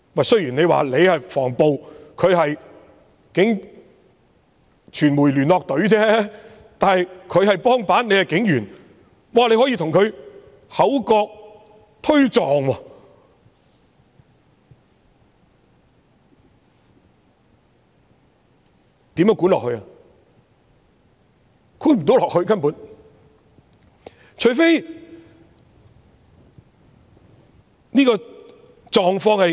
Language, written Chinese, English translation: Cantonese, 雖然你是防暴，而他是傳媒聯絡隊，但他是督察，你是警員，你竟然可以與他口角和推撞，這樣如何管理下去？, Even though you are the riot police and he is from the Media Liaison Cadre he is an Inspector whereas you are a police constable and when you can have verbal disputes and physical scuffles with him how is it possible to manage the Police?